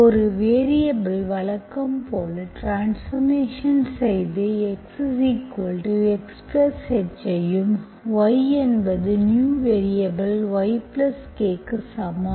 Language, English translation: Tamil, So, so you the transformation as usual, you look for x equal to x plus H, y equals to new variable y plus K